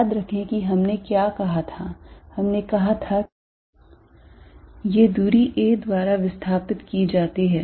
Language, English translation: Hindi, Remember what we said, we said these are displaced by distance a